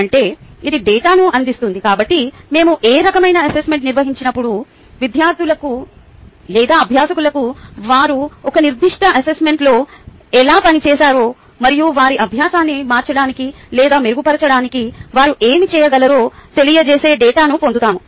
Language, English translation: Telugu, so when we conduct ah, any type of assessment, we get ah data which informs the students or the learners as how they have performed in a particular assessment and what could they do next to change or improve their learning